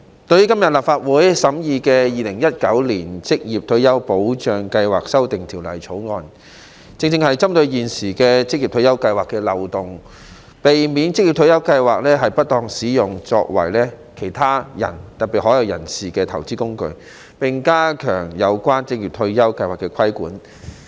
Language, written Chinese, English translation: Cantonese, 代理主席，立法會今天審議的《2019年職業退休計劃條例草案》，正是針對現時職業退休計劃的漏洞，避免職業退休計劃遭不當使用作為其他人，特別是海外人士的投資工具，並加強有關職業退休計劃的規管。, Deputy President the Occupational Retirement Schemes Amendment Bill 2019 the Bill under consideration by the Legislative Council today targets the loopholes in the existing Occupational Retirement Schemes OR Schemes so as to prevent the misuse of OR Schemes as an investment vehicle by other people especially overseas individuals and to step up the regulation of OR Schemes